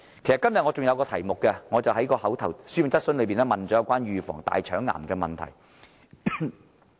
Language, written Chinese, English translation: Cantonese, 其實，今天我亦透過書面質詢提出有關預防大腸癌的問題。, In fact I have asked a written question today in relation to the prevention of colorectal cancer